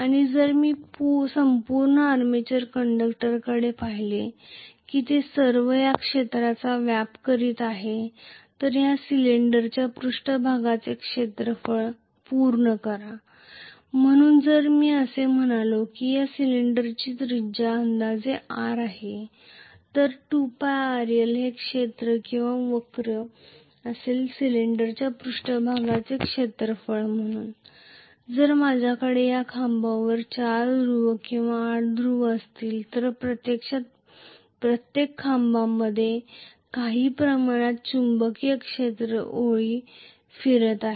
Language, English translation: Marathi, And if I look at the complete armature conductors they are all occupying this area complete you know the surface area of this cylinder so if I say that the radius of this cylinder is r roughly, so 2 pie rl is going to be the area or the curve surface area of the cylinder so, if I have 4 poles or 8 poles whatever each of this pole is actually circulating some amount of magnetic field lines